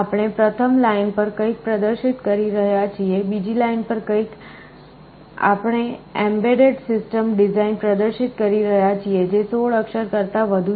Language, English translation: Gujarati, We are displaying something on first line, something on second line, we are displaying EMBEDDED SYSTEM DESIGN, which is more than 16 character